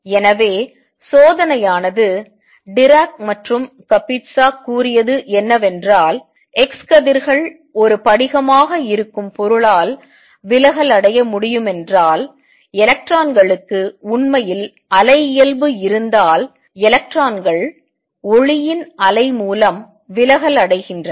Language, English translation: Tamil, So, the experiment is what Dirac and Kapitsa said is that if x rays can be diffracted by material that is a crystal, and if electrons really have wave nature then electrons can also be diffracted by standing wave of light